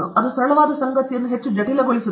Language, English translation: Kannada, That is to make a simple thing more complicated